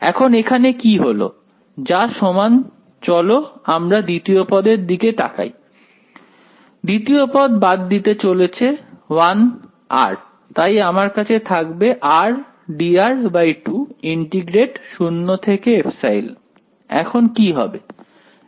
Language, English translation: Bengali, Now what happens over here is there are so, is equal to this let us let us look at the second term over here, second term is going to cancel of 1 r I will be left with a r d r by 2, r d r by 2 integrate 0 to epsilon what is going to happen